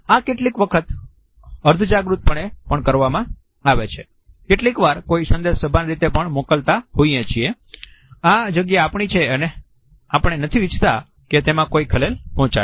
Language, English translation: Gujarati, This is done sometimes subconsciously sometimes it is also done in a conscious manner to send a particular message that this space belongs to us and that we do not want it to be disturbed